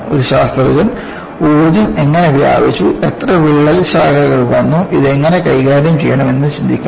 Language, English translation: Malayalam, A scientist has to go and see how the energy has been dissipated, how many crack branches have come about and how to deal with this